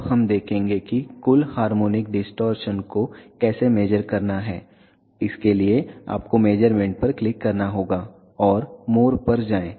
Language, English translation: Hindi, Now, we will see how to measure the total harmonic distortion, for that you have to go to measure click on it go to more